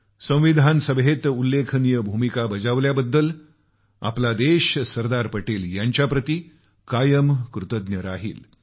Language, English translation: Marathi, Our country will always be indebted to Sardar Patel for his steller role in the Constituent Assembly